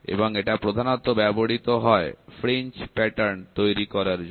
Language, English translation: Bengali, And this is predominantly used for generating fringe patterns